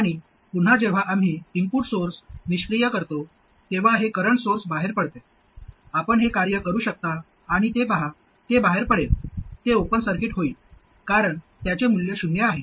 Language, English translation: Marathi, And again when we deactivate the input source, this current source drops out, it turns out, okay, you can work it out and see it will drop out, it will become an open circuit because it has zero value